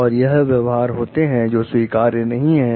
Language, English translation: Hindi, And these are the behaviors, which are not acceptable